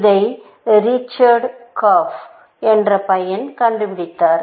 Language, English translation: Tamil, It was given by a guy called Richard Korf